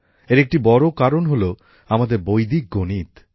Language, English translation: Bengali, And what can be simpler than Vedic Mathematics